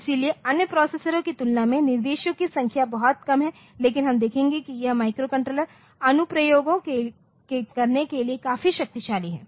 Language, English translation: Hindi, So, compared to other processes the numbers of instructions are much less, but we will see that this is quite powerful for doing the microcontroller applications